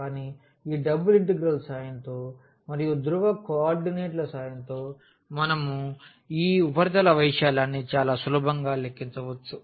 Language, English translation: Telugu, So, but with the help of this double integral and with the help of the polar coordinates we could very easily compute this surface area